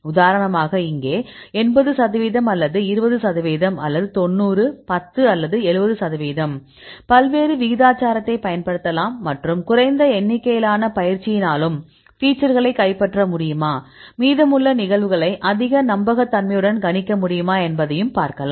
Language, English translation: Tamil, For example, you can take 80 percent here or 20 percent here or 90; 10 or 70; 30 you can use a various proportions and see whether even less number of training, you are able to capture the features and whether it is possible to predict the remaining cases with the high reliability and this is this you can do that